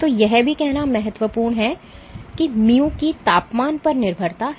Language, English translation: Hindi, So, also important to say that mu has a dependency on the temperature